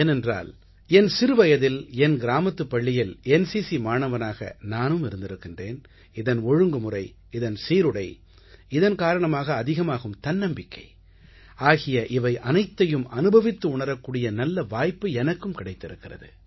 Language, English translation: Tamil, It is matter of joy for me because I also had the good fortune to be an NCC Cadet in my village school as a child, so I know that this discipline, this uniform, enhances the confidence level, all these things I had a chance to experience as an NCC Cadet during childhood